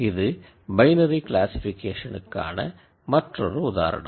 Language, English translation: Tamil, So, that is another binary classification example